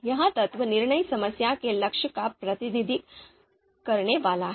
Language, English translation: Hindi, This element is going to represent the goal of the you know decision problem